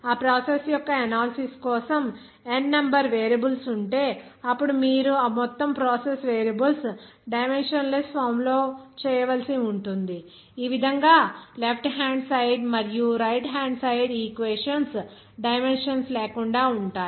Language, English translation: Telugu, If there are N numbers of variables for analysis of that process, then you have to make those entire processes variable in a dimensionless form in such a way that on the left hand side and right hand side of the equations will be dimensionless